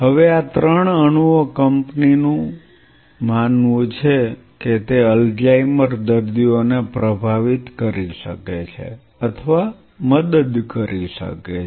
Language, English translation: Gujarati, Now, these three molecules the company believes could influence or could help in those Alzheimer patients